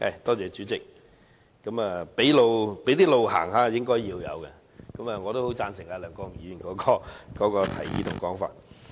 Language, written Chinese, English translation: Cantonese, 代理主席，"俾路行下"是應該的，我很贊成梁國雄議員的提議和說法。, Deputy President we are supposed to give way . I very much agree with Mr LEUNG Kwok - hungs suggestions and comments